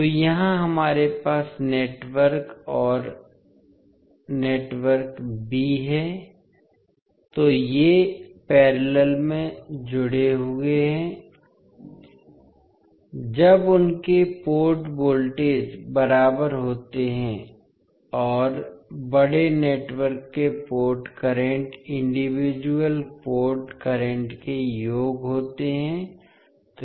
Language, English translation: Hindi, So here we have network a and network b, so these are connected in parallel when their port voltages are equal and port currents of the larger networks are the sum of individual port currents